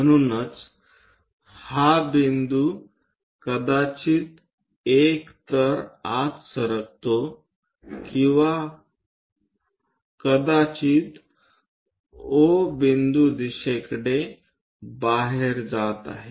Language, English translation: Marathi, So, this A point perhaps moving either inside or perhaps O point which is going out in the direction outwards